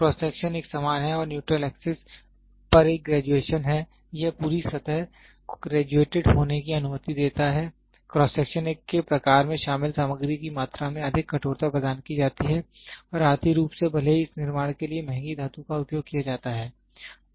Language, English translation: Hindi, The cross section is uniform and has a graduation on the neutral axis it allows the whole surface to be graduated the type of the cross section provides greater rigidity from the amount of material involved and is economically even though expensive metal is used for this construction